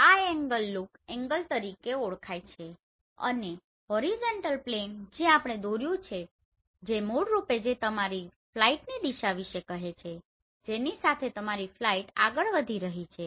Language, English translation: Gujarati, This angle is known as look angle right and the horizontal plane which we have drawn which is basically which tell us about the direction of your flight along which your flight is moving